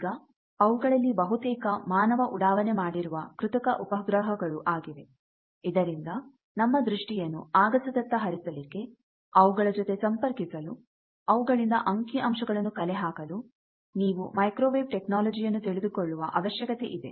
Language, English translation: Kannada, Now, most of them are artificial satellites which man has launched, so that to extend our vision into space, to communicate with them, to gather data from them you need to understand the technology of microwave